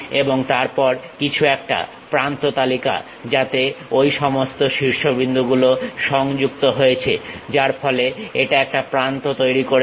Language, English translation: Bengali, And then something about edge list, what are those vertices connected with each other; so, that it forms an edge